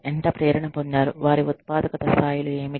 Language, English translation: Telugu, What their productivity levels are